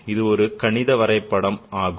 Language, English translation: Tamil, This is the mathematical representation